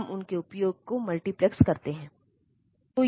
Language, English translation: Hindi, So, we can multiplex their use